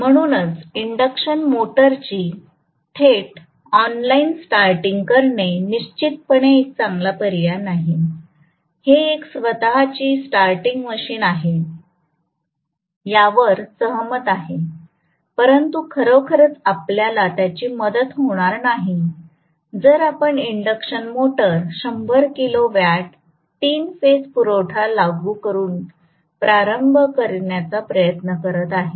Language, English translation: Marathi, So, direct online starting of an induction motor is definitely not a good option, it is a self starting machine agreed, but is not going to really, it is not going to really help us, if we are trying to start, let us say 100 kilo watt induction motor directly by applying the 3 phase supply